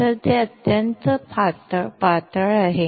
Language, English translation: Marathi, So, it is extremely thin